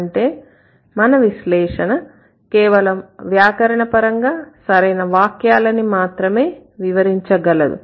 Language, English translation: Telugu, That means our analysis can only explain the grammatically correct sentences